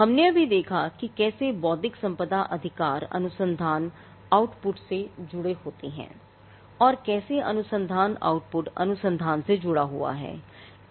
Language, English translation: Hindi, Now, we just saw how intellectual property rights are connected to the research output and how the research output is connected to what gets into research